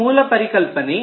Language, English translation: Kannada, this is the basic idea